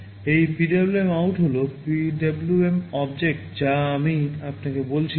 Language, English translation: Bengali, This PwmOut is the PWM object I told you